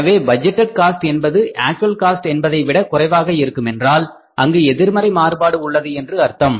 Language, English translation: Tamil, But if the budgeted performance is less than the actual performance, then it is the positive variance